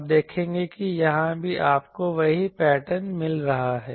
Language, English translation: Hindi, You will see that here also you are getting the same pattern